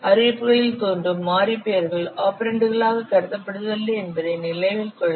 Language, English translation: Tamil, Note that the variable names appearing in the declarations they are not considered as operands